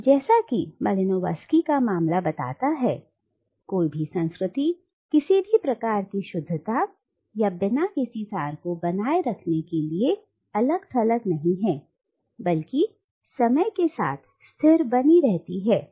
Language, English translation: Hindi, So as Malinowski’s case suggests, no culture is isolated enough to maintain any sort of purity or uncontaminated essence that remains static over time